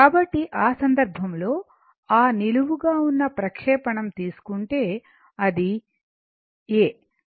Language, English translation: Telugu, So, in that case if you if you take suppose that vertical projection so, that is A B